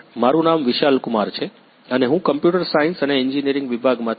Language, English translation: Gujarati, My name is Vishal Kumar from Computer Science and Engineering department